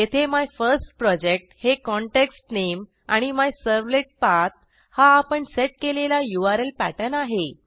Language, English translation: Marathi, Here MyFirstProject is the context name and MyServletPath is the URL Pattern that we had set